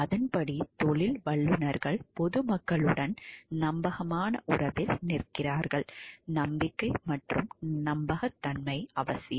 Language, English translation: Tamil, Accordingly professionals stand in a fiduciary relationship with the public, trust and trustworthiness are essential